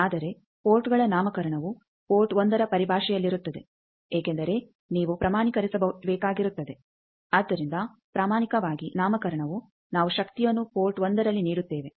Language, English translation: Kannada, But the nomenclature of the ports is in terms of the port 1 thing because you will have to standardize, so nomenclature is genuinely we give power at port 1